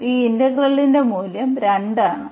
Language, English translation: Malayalam, So, what is this integral value here